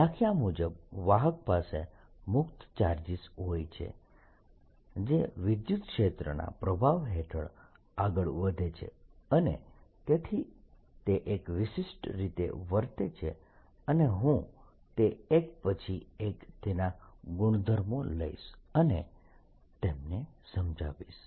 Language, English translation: Gujarati, today a conductor, by definition, has has free charges that move under the influence of an electric field and therefore it behaves in a particular way, and i am going to take its properties one by one and explain them